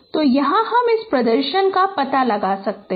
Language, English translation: Hindi, So here you can find out that this representation